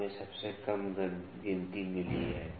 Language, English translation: Hindi, So, we have got the least count